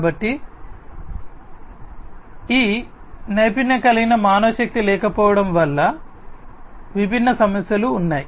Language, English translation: Telugu, So, because of this lack of skilled manpower, there are different problems that are possible